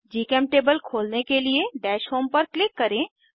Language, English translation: Hindi, To open GChemTable, click on Dash Home